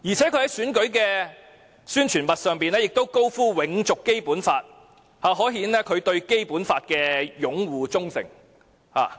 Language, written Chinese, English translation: Cantonese, 此外，他在選舉宣傳物上清楚表明要永續《基本法》，可見他對《基本法》的擁護和忠誠。, Moreover in the promotion materials for the election Dr CHENG has stated clearly his support for sustaining the Basic Law which is evident that he upholds and is loyal to the Basic Law